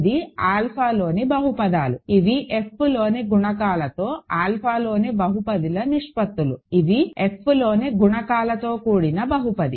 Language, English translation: Telugu, This is the polynomials in alpha, these are ratios of polynomials in alpha with coefficients in F, these are polynomials with coefficients in F